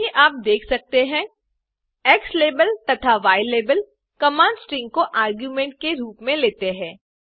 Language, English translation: Hindi, As you can see, xlabel and ylabel command takes a string as an argument